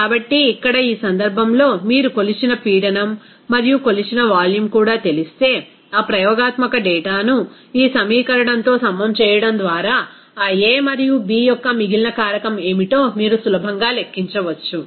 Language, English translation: Telugu, So, here in this case, if you know the measured pressure and also measured volume, you can easily calculate what should be the remaining factor of that a and b there just by equating that experimental data with this equation